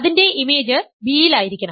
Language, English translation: Malayalam, Because it is the image of a b